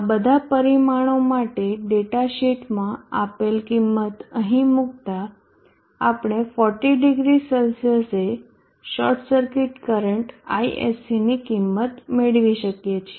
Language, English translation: Gujarati, For the values given in the data sheet substituting for all this parameters here we can get the short circuit current ISC value at 400C